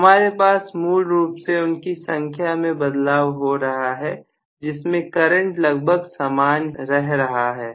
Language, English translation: Hindi, So, I am going to have essentially the number of turns getting modified with the current almost remaining as the constant